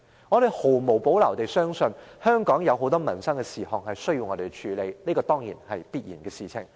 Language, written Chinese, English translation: Cantonese, 我們毫無保留地相信，香港有很多民生事項需要我們處理，這是必然的事。, We believe without reservation that inevitably there are numerous livelihood issues for us to tackle in Hong Kong